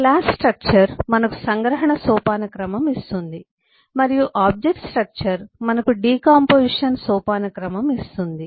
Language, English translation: Telugu, the class structure gives us the abstraction hierarchy and the object structure gives us the decomposition hierarchy